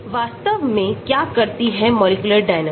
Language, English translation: Hindi, That is what molecular dynamics does actually